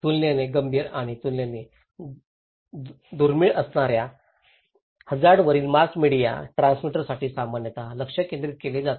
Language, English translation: Marathi, The focus is generally for the mass media transmitter on the hazards that are relatively serious and relatively rare